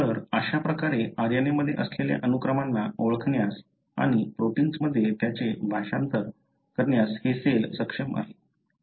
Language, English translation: Marathi, So, this is how cell is able to identify the sequences that are present in the RNA and translate them into the protein